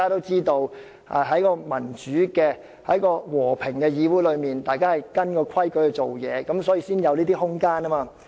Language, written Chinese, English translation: Cantonese, 在民主和平的議會中，大家都按規矩辦事，所以才會有"拉布"的空間。, In a democratic and peaceful legislature all its members follow the rules and that is why there is room for filibustering